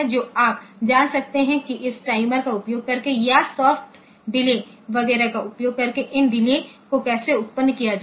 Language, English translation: Hindi, So, you can know how to generate these delays by using this timers or using soft delay, etcetera